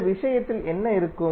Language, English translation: Tamil, So what would be in this case